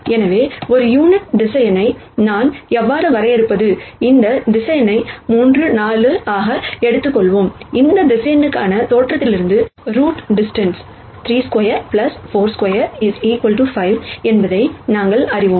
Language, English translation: Tamil, So, how do I de ne a unit vector, let us take this vector A 3 4, we know that the distance from the origin for this vector is root of 3 squared plus 4 squared is 5